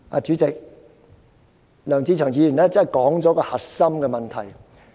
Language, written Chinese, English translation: Cantonese, "主席，梁志祥議員真的道出核心問題。, President Mr LEUNG Che - cheung has indeed pointed out the crux of the issue